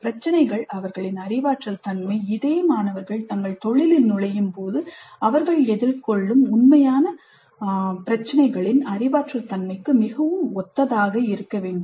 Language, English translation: Tamil, The problems, their cognitive nature is quite similar to the cognitive nature of the actual problems that these people will face when they enter their profession